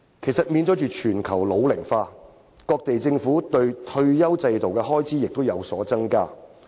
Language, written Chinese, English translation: Cantonese, 其實，面對全球老齡化，各地政府在退休保障方面的開支亦有所增加。, Actually in the face of global ageing governments of different countries have also increased their spending on retirement protection